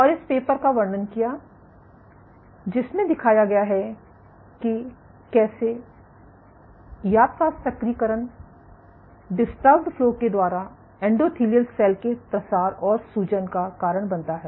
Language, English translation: Hindi, And describe this paper which showed how yap taz activation by disturbed flow led to endothelial cell proliferation and inflammation